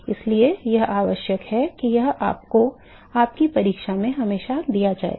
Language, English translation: Hindi, So, it is required it will always be given to you in your exam